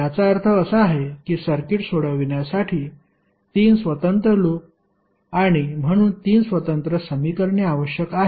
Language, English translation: Marathi, That means that 3 independent loops and therefore 3 independent equations are required to solve the circuit